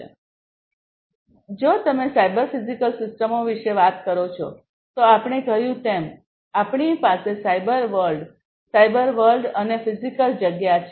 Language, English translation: Gujarati, So, if you are talking about cyber physical systems, we have as I told you we have the cyber world, the cyber world, and the physical space, right